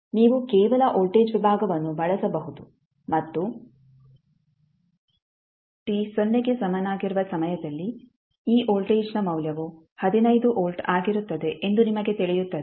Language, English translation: Kannada, You can simply use the voltage division and you will come to know that the value of this voltage at time t is equal to 0 is nothing but 15 volt